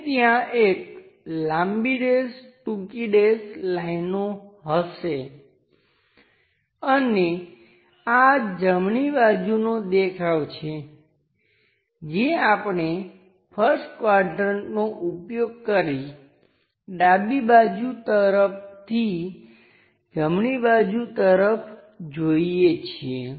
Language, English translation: Gujarati, And there will be long dash, short dashed lines and this one is right side view which we are looking from right side towards the left direction using first quadrant